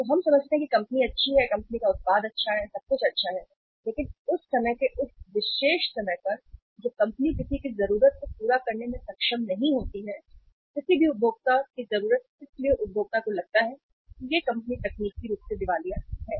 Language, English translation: Hindi, So we understand company is good, company’s product is good, everything is good but at that particular point of time when the company is not able to serve anybody’s need, any consumer’s need so consumer thinks that this company is technically insolvent